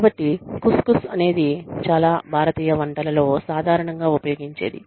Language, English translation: Telugu, So, Khus Khus is something, that is very commonly used, in many Indian dishes